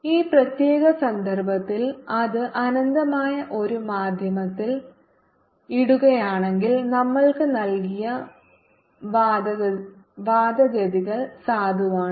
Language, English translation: Malayalam, in this pay particular case, where it was put in an infinite medium, whatever arguments we were given are valid